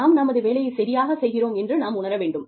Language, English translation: Tamil, We would like to think, we are doing our work, well